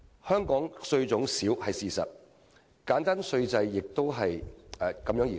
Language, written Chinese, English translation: Cantonese, 香港稅種少是事實，而簡單稅制的稱譽亦因此而來。, It is true that Hong Kong has limited types of taxes and hence it is reputed for having a simple tax regime